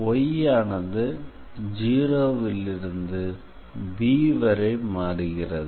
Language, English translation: Tamil, So, here y is varying from 0 to b